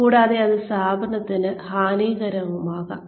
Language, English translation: Malayalam, And, that can be detrimental to the organization